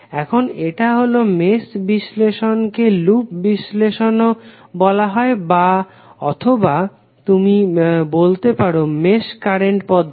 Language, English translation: Bengali, Now this is; mesh analysis is also called loop analysis or you can say mesh current method